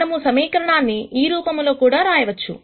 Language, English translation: Telugu, We can write this equation also in this form